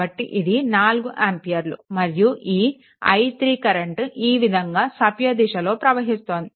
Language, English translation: Telugu, So, this will be your 4 ampere right and this i 3 current clockwise we have taken